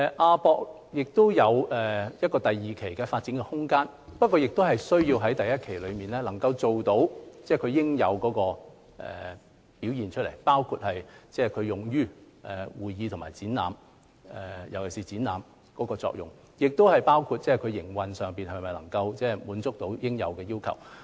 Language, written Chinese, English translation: Cantonese, 亞博館擁有第二期的發展空間，但第一期先要做到其應有表現，包括會議和展覽，特別是展覽方面的作用，同時要考慮其營運能否達到應有要求。, Development space for Phase 2 has been reserved in the AsiaWorld - Expo but Phase 1 has to reach the necessary performance levels including in terms of conference and exhibition―especially its function for exhibition―and consideration has to be given to whether its operation is up to the required standards